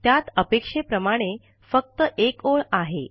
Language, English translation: Marathi, It has only one line as expected